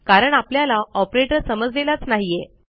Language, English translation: Marathi, This is because, there is no operator to be found here